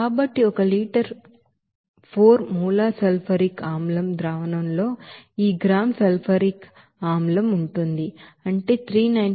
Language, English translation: Telugu, So in this one liter of 4 molar sulfuric acid solution contains this gram of sulfuric acid, that is 392